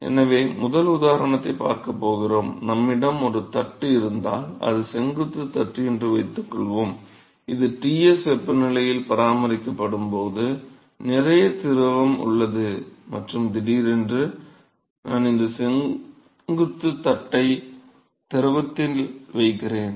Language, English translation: Tamil, So, the first example, we are going to a look at is suppose if we have a plate, let say a vertical plate which is let us say at maintain at a temperature Ts and there is lot of fluid which is present and suddenly, I am putting this vertical plate to the fluid